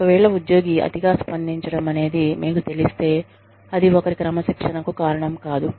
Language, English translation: Telugu, If the employee, i mean, you know, overreaction should not be a reason, for disciplining somebody